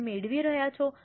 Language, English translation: Gujarati, Are you getting